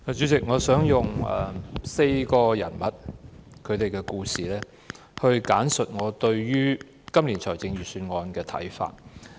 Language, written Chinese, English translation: Cantonese, 主席，我想用4個人物的故事簡述我對今年財政預算案的看法。, President I will briefly state my views on this years Budget by telling the stories of four persons